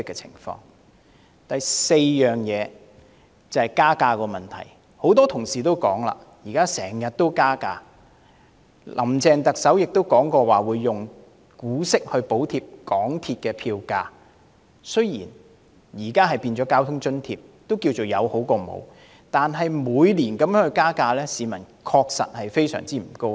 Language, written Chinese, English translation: Cantonese, 很多同事也曾提及，港鐵公司近年經常加價，"林鄭"特首也說過會以港鐵公司的股息補貼港鐵票價——雖然現已變成公共交通費用補貼，但有總算比沒有好——惟每年加價，市民的確非常不高興。, Many colleagues noted the frequent fare hikes effected by MTRCL in recent years . While Chief Executive Carrie LAM said that dividends received from MTRCL would be used to subsidize the MTRCL fares―now in the form of public transport fare subsidy which is better than nothing―the public are decidedly upset by the annual hikes